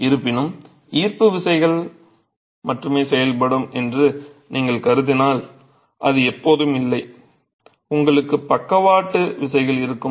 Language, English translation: Tamil, However, if you were to assume only gravity forces acting which is not always the case, you will have lateral forces